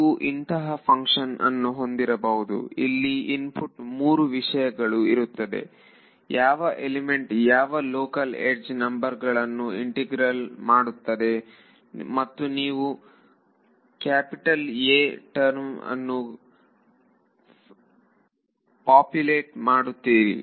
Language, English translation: Kannada, You would have a function which takes as input three things which element which local edge numbers it will do the integral and you will populate your capital A term over here